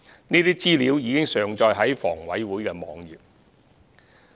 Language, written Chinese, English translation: Cantonese, 這些資料已上載至房委會網頁。, Such information has been uploaded onto HAs website